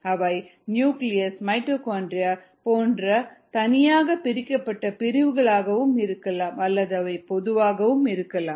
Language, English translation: Tamil, you know they could be actual compartments, such as the nucleus, mitochondria, so on and so forth, or they could be even conceptual